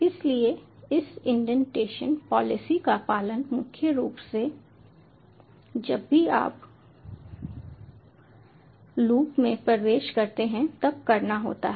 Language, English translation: Hindi, so this indentation policy has to be followed whenever, mainly whenever you enter into a loop